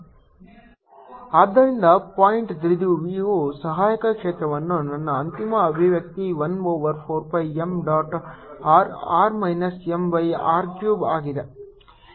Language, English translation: Kannada, so my final expression for the auxiliary field of a point dipole is one over four pi three m dot r r minus m by r cube